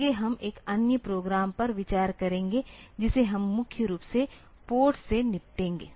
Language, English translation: Hindi, Next we will look into another program which we will deal with mainly with the ports